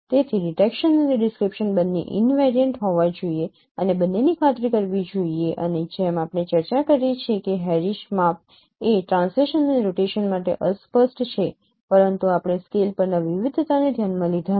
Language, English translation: Gujarati, So both the detection and description should be invariant and both should be ensured and as we have discussed that Harris measure is invariant to translation and rotation but we did not consider the variation over scale